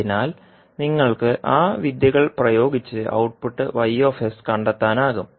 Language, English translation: Malayalam, So, you can apply those techniques and find the output y s